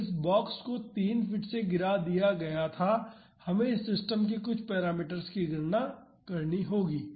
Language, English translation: Hindi, So, this box was dropped from 3 feet, we have to calculate a few parameter of this system